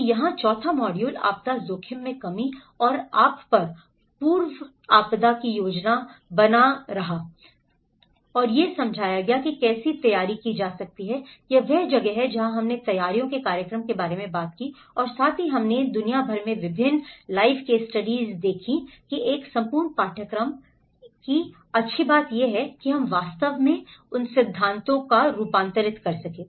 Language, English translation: Hindi, So here the fourth module covers of disaster risk reduction and the pre disaster planning you know how one can prepare, this is where we talked about the preparedness programs and also we are given various live case studies across the globe and a whole course, a good thing about this course is we actually brought the theory